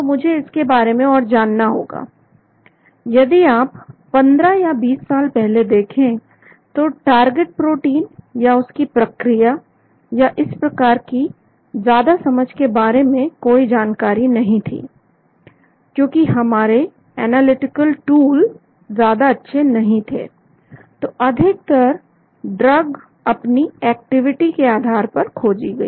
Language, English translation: Hindi, So I need to know more, if you look at 15 or 20 years back there was no knowledge about much understanding about mechanism or target proteins and so on because our analytical tools were not very great, so most of the drugs were discovered based on their activity